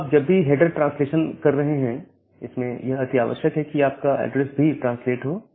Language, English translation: Hindi, Now, whenever you are doing a header translation, an important requirement is that your address must be translated